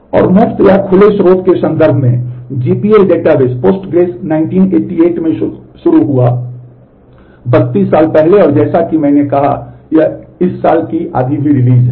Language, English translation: Hindi, And in terms of the ma free or open source GPL databases Postgres started in 1988 about 30 years back and as I said, this is this is has a release even half of this year